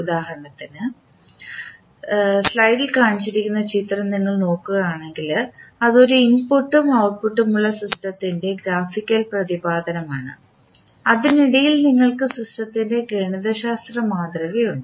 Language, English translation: Malayalam, For example, if you see the figure shown in the slide it is a graphical representation of the system which has one input and the output and in between you have the mathematical representation of the system